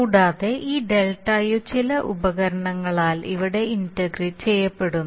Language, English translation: Malayalam, And this ΔU is getting integrated here by some device okay